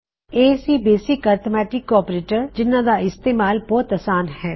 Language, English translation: Punjabi, So, these are the basic arithmetic operators which are simple to use